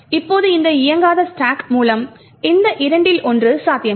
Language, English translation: Tamil, Now with this non executable stack one of these two is not possible